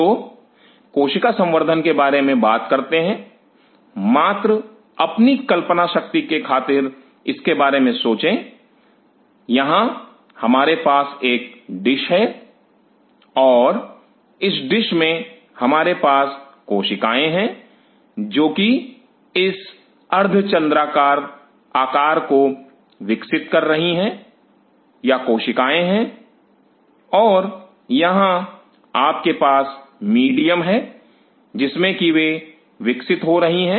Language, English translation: Hindi, So, when we talk about cell culture just for your imagination sake, think of it, here we have a dish and, in that dish, we have the cells which are growing this half moon shaped; these are the cells and here you have the medium in which they are growing